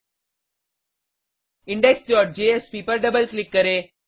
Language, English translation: Hindi, Double click on index.jsp